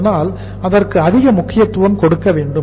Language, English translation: Tamil, So more importance should be given for that